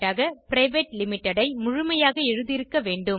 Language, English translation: Tamil, Private Limited should be written in full